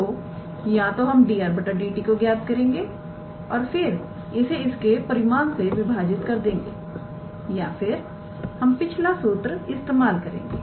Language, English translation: Hindi, So, either we can calculate dr dt and then divide it with its magnitude or we can use that previous formula